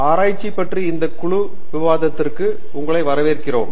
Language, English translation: Tamil, Hello, welcome to this Group Discussion on Research